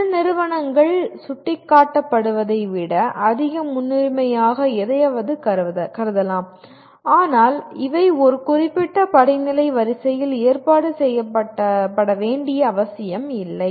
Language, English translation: Tamil, Some companies may consider something as a higher priority than what is indicated but these are indicative, not necessarily arranged in a particular hierarchical order